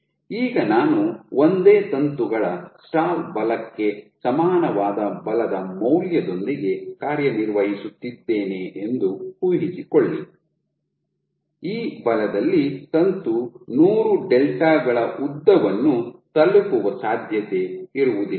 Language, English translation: Kannada, Now imagine I am operating with a force value equal to the stall force of a single filament, at this force it is unlikely that the filament will grow to reach a length of 100 delta ok